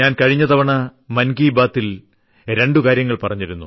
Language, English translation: Malayalam, In the last edition of Mann Ki Baat I talked about two things